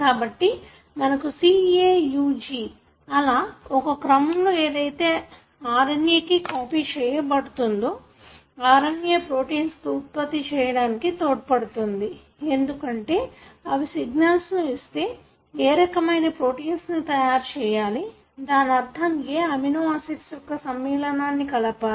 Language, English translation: Telugu, So likewise you have C, A, U, G and so on, you have the sequence that are copied to the RNA and this RNA helps in the formation of proteins, because they give the signal as to what kind of protein should be made and, meaning in what combination these amino acids should be added